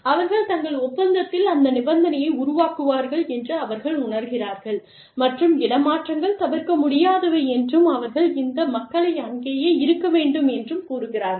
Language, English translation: Tamil, And, they feel that, you know, they will build that stipulation, into their contract, and say transfers are inevitable, and they will put these people, there